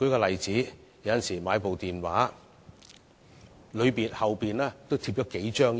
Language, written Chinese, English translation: Cantonese, 例如，手提電話的背面也貼上數張標籤。, For example several labels must also be affixed to the back of a mobile phone